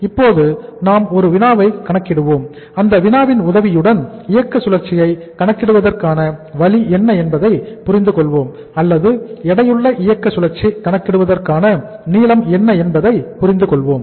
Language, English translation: Tamil, Now we will do a problem and with the help of that problem we will understand that what is the way to calculate the weighted operating cycle or what is the length of calculating the weighted operating cycle